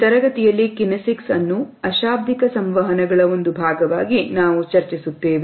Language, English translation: Kannada, In this module, we would discuss Kinesics is a part of nonverbal aspects of communication